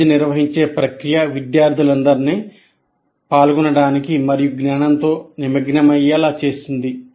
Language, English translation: Telugu, And the very process of conducting a quiz will make all the students kind of participate and get engaged with the knowledge